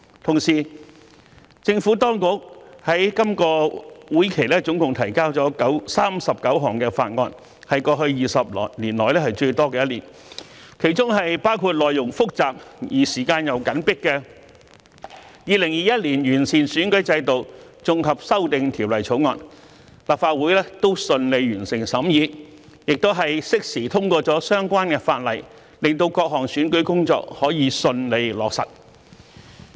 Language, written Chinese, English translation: Cantonese, 同時，政府當局在今個會期總共提交了39項法案，是過去20年以來最多的一年，當中包括內容複雜而時間緊迫的《2021年完善選舉制度條例草案》，立法會都順利完成審議，亦適時通過了相關法例，令各項選舉工作可以順利落實。, Meanwhile the Government has introduced a total of 39 bills into the Legislative Council in this legislative session a record high for the past two decades including the Improving Electoral System Bill 2021 with complicated content and a tight schedule . The Council still managed to complete the scrutiny work smoothly and pass the legislation in a timely manner so that various kinds of election work can be duly implemented